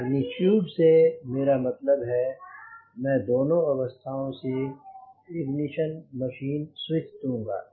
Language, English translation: Hindi, magnitude means i will put the ignition machine switch from both condition